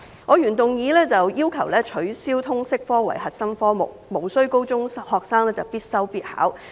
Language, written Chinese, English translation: Cantonese, 我的原議案要求取消通識科為核心科目，無須高中學生必修必考。, My original motion calls for removing the LS subject as a core subject and abolishing it as a compulsory study and examination subject required of senior secondary students